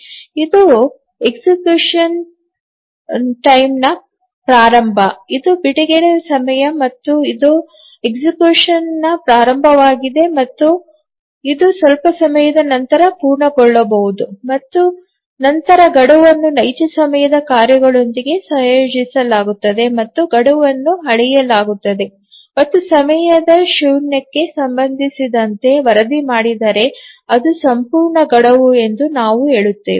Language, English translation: Kannada, So this is the start of execution, this is the release time, and this is the start of execution and it may complete after some time and then a deadline is associated with real time tasks and if the deadline is measured and reported with respect to time zero we say that it's an absolute deadline